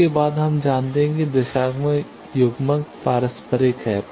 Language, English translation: Hindi, Next, we know directional coupler is reciprocal